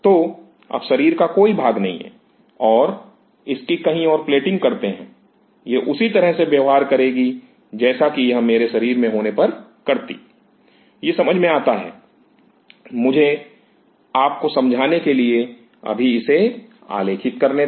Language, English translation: Hindi, So, no more in part of body now and plate it somewhere will it behave the same way as it happens in my body is it making sense let me just put it now graphically for you to appreciate it